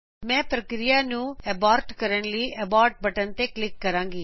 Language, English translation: Punjabi, I will click on Abort button to abort the process